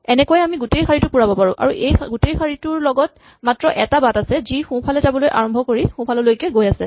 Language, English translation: Assamese, In this way I can fill up the entire row and say that all along this row there is only one path namely the path that starts going right and keeps going right